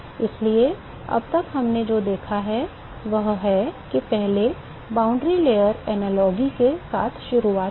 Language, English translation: Hindi, So, what we are looked at so far is first we started with the boundary layer analogies